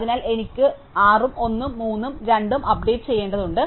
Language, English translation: Malayalam, So, I need to update 6 and 1, and 3 and 2